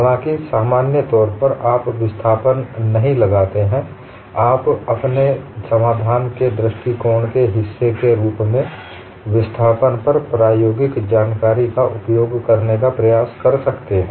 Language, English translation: Hindi, Though, in general, you do not impose the displacement, you may try to use experimental information on displacement as part of your solution approach